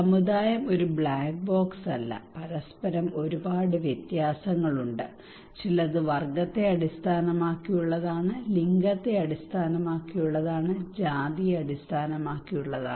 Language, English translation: Malayalam, Community is not a black box there are a lot of differences among themselves some is based on class, based on gender, based on caste, status